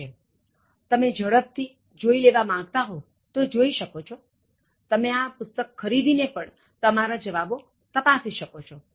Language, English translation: Gujarati, So, like if you just want a quick check, you can also buy this book and check these answers